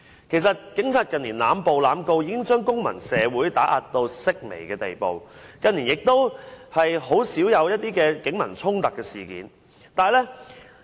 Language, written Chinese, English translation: Cantonese, 其實，警察近年濫捕及濫告已將公民社會嚴重打壓，近年亦甚少發生警民衝突事件。, In fact the Police have already ruthlessly suppressed the civic society through their indiscriminate arrests and prosecutions in recent years and clashes between people and the Police also scarcely happened in these years